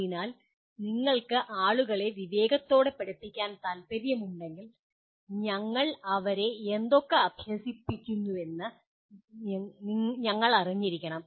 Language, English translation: Malayalam, So if you want to educate people wisely, we must know what we educate them to become